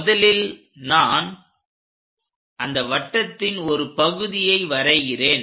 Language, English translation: Tamil, So, let me draw that part of the circle first of all